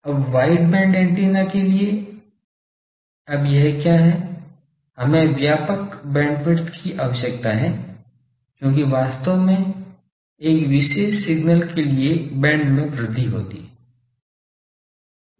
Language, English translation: Hindi, Now in for wide band antennas now what is this we require wide bandwidth because various actually a particular signal its band is getting increased